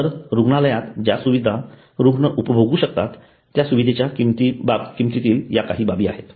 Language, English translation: Marathi, So these are some of the issues in the pricing of the facility that the patient is going to enjoy in a hospital